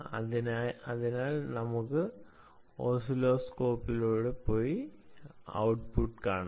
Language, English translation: Malayalam, so let's move on to the oscilloscope and see the output